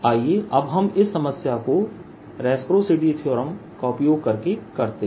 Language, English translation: Hindi, only let us now do this problem using reciprocity theorem